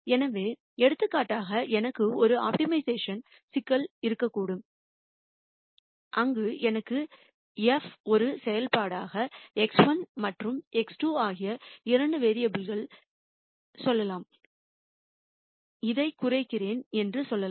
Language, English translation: Tamil, So, for example, I could have an optimization problem where I have f as a function of let us say two variables X 1 and X 2 and I could say minimize this